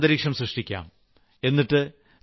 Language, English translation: Malayalam, Let us all create such an atmosphere